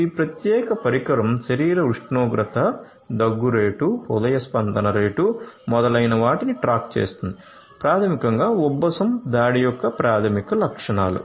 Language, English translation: Telugu, So, this particular device can keep track of the body temperature, coughing rate, heart rate etcetera which are basically you know preliminary symptoms of an asthma attack